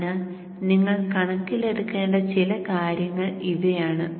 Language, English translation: Malayalam, So these are some things that you need to take into account